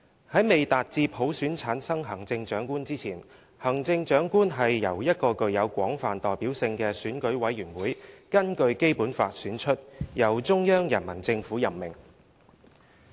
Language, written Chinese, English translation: Cantonese, "在未達至普選產生行政長官之前，行政長官是由一個具有廣泛代表性的選舉委員會根據《基本法》選出，由中央人民政府任命。, Before the Chief Executive is elected by universal suffrage the Chief Executive shall be elected by a broadly representative Election Committee EC in accordance with the Basic Law and appointed by the Central Peoples Government